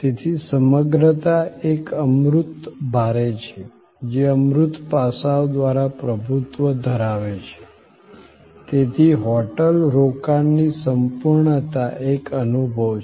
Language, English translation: Gujarati, So, the totality is an intangible heavy, dominated by deferent intangible aspects, the totality of the hotel stay is therefore an experience